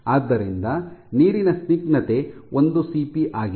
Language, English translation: Kannada, So, viscosity of water is 1 cP